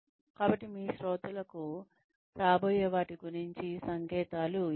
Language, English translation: Telugu, So, give your listeners signals about, what is to come